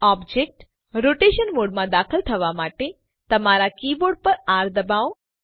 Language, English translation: Gujarati, Press R on your keyboard to enter the object rotation mode